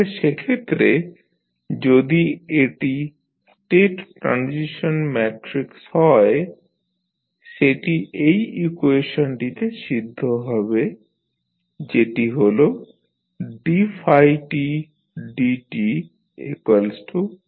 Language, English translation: Bengali, So, in that case if it is the state transition matrix it should satisfy the following equation, that is dy by dt is equal to A phi t